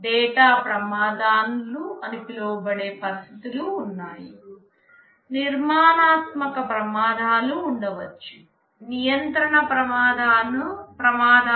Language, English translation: Telugu, There are situations called data hazards, there can be structural hazards, there can be control hazards